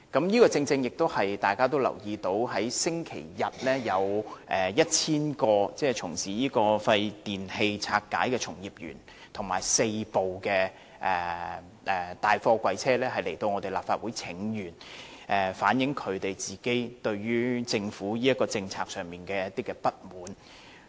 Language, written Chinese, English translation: Cantonese, 我相信大家也留意到，上星期日有 1,000 名從事廢電器拆解的從業員和4輛大貨櫃車來到立法會請願，反映他們個人對政府這項政策的不滿。, I think Members must have noticed that last Sunday 1 000 practitioners engaging in e - waste dismantling and four container trucks came to the Legislative Council to protest and express their dissatisfaction with this policy from the Government